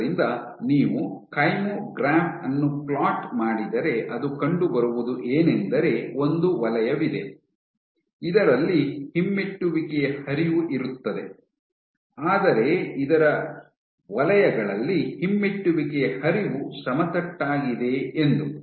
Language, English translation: Kannada, So, if you plot the kymograph what you will find is there is a zone in which you have retrograde flow, but in the other zones here retrograde flow is flat